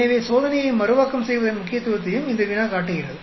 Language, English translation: Tamil, So, this problem also shows you the importance of replicating the experiment